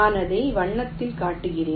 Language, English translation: Tamil, well, i am showing it in the colour